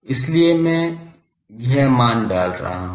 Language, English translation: Hindi, So, I am putting the value this